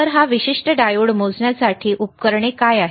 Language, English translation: Marathi, So, what is equipment to measure this particular diode